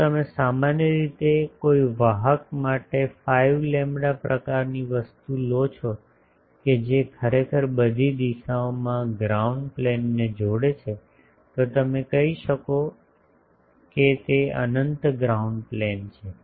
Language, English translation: Gujarati, If you take generally 5 lambda sort of thing for a conductor that ground plane link in all the directions, then you can say that it is an infinite ground plane